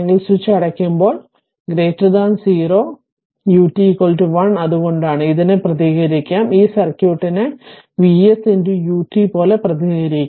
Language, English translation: Malayalam, And for your t greater than 0 right u t is equal to 1 when switch is closed that is why; this can be represented this circuit can be represented as like this V s into u t right